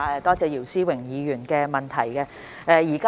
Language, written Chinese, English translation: Cantonese, 多謝姚思榮議員的補充質詢。, I thank Mr YIU Si - wing for his supplementary question